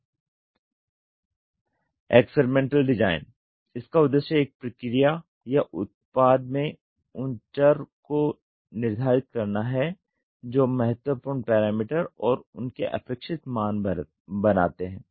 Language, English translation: Hindi, Experimental design: the objective is to determine those variables in a process or product that forms critical parameters and their target values